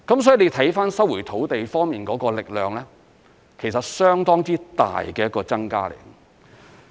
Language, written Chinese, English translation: Cantonese, 所以看收回土地方面的力量，其實是有相當之大的增加。, In other words the potential of land resumption can actually increase substantially